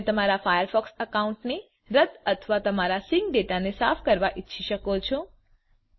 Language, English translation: Gujarati, You may also want to delete your firefox sync account or clear your sync data